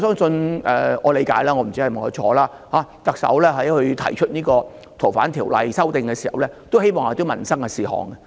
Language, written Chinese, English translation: Cantonese, 據我理解——我不知道是否正確——特首在提出修訂《逃犯條例》的時候，也希望這會是一件民生事項。, As far as I know―I do not know if this is correct―when the Chief Executive proposed the amendments to FOO she also expected this to be a livelihood issue